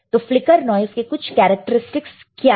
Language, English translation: Hindi, So, what are some characteristics of flicker noise